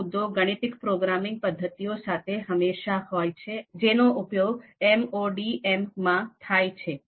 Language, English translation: Gujarati, So this issue can always be there with the you know mathematical programming methods that are typically used in MODM